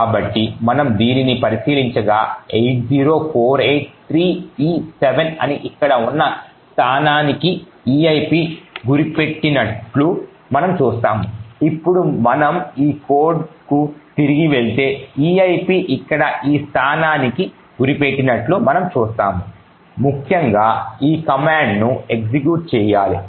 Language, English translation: Telugu, So we look at this and we see that eip is pointing to a location over here that is 80483e7, now if we go back to this code we see that the eip is actually pointing to this location over here essentially this instruction has to be executed